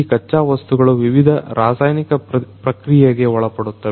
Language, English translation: Kannada, These raw materials we would be subjected to different chemical treatment